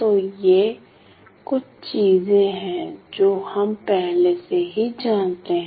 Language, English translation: Hindi, So, these are some of the things that we already know